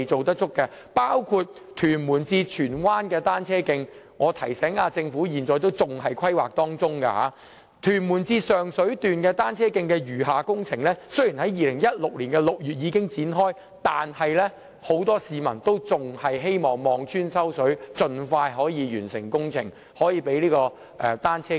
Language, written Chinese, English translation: Cantonese, 當中包括屯門至荃灣的單車徑，我得提醒政府，該單車徑現時仍在規劃階段；還有屯門至上水段的單車徑的餘下工程，雖然已在2016年6月展開，但很多市民已望穿秋水，希望政府可以盡快完成相關工程，啟用單車徑。, I have to remind the Government that the cycle track is still at its planning stage . Though the remaining works for the cycle track from Tuen Mun to Sheung Shui commenced in June 2016 they have not yet been completed . Many people have been waiting earnestly for the commissioning of the cycle track and hope that the Government will complete the relevant works as soon as possible